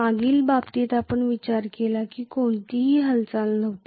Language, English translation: Marathi, In the previous case, we considered there was no movement